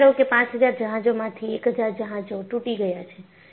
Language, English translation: Gujarati, And imagine, out of the 5000 ships, 1000 ships break